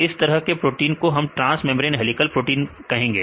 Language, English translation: Hindi, So, in this type of proteins we call as transmembrane helical proteins